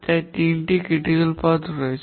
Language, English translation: Bengali, So then there are three critical paths